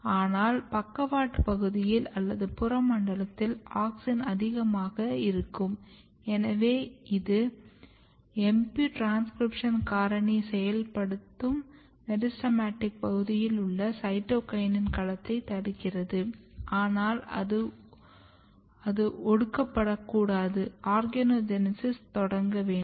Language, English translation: Tamil, But if you come in the in the lateral region or in the peripheral zone, where auxin is high and auxin is basically activating transcription factor this transcription factor MP is basically restricting the domain of cytokinin domains here in the meristematic region, but here it should be repressed so, that the organogenesis process should start